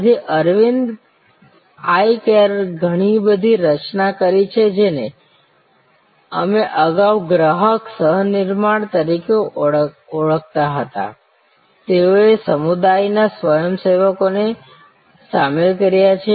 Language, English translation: Gujarati, So, Aravind eye care has created a lot of what we called earlier customer co creation, they have involved volunteers from community